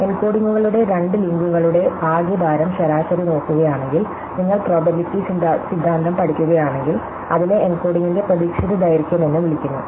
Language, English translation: Malayalam, If I just look at the total weighted average of the lengths of the encodings, then this is if you study probability theory, what is called the expected length of the encoding